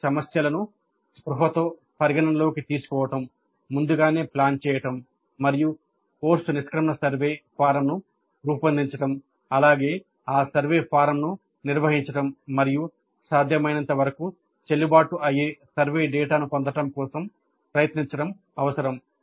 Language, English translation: Telugu, So it is necessary to consider these issues consciously plan ahead and design the course exit survey form as well as administer that survey form and try to get data which is to the greatest extent possible valid survey data